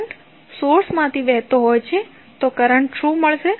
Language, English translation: Gujarati, Current is flowing from the source, so what is the current